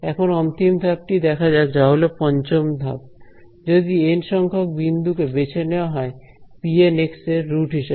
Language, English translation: Bengali, So, now let us play the final card of tricks which is step 5, is that if the N points are chosen to be the roots of p N x ok